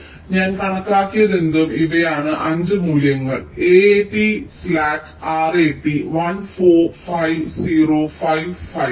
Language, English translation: Malayalam, so, whatever i have calculated, these are the five values: a, a, t slack, r a, t one, four, five, zero, five, five